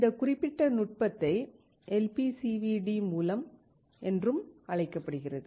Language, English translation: Tamil, This particular technique is also called LPCVD